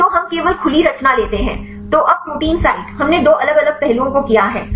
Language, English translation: Hindi, So, we take only the open conformation; so now, the protein site we did two different aspects is done